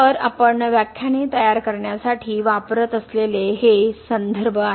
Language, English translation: Marathi, So, these are references we have used to prepare these lectures